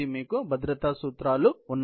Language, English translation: Telugu, You have safety principles